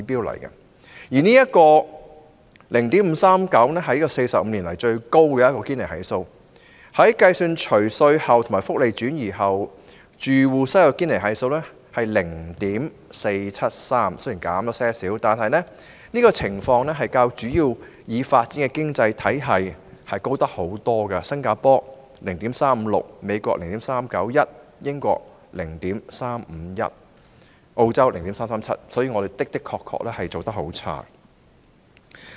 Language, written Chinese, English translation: Cantonese, 0.539 是45年來最高的堅尼系數，即使計算除稅後及福利轉移後，住戶收入的堅尼系數為 0.473， 雖然略有下降，但仍遠高於其他主要已發展經濟體，新加坡的數字是 0.356、美國是 0.391、英國是 0.351， 而澳洲是 0.337。, The Gini coefficient of 0.539 is the highest in 45 years . While the Gini coefficient based on post - tax post - social transfer household income stood at 0.473 which is a little bit lower it is still far above the figures of other major developed economies such as Singapore 0.356 the United States 0.391 the United Kingdom 0.351 and Australia 0.337